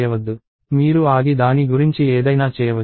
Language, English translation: Telugu, You can stop and do something about it